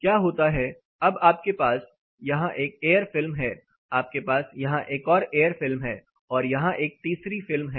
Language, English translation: Hindi, Simple what happens now you have a air film you have a air film there is a third thing here